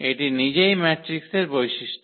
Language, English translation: Bengali, This is the property of the matrix itself